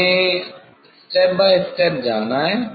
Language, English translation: Hindi, one has to go step by step